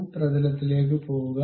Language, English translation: Malayalam, Go to front plane